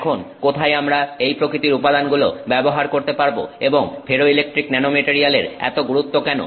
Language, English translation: Bengali, So, now where can we use these materials and what is so important about a ferroelectric nanomaterial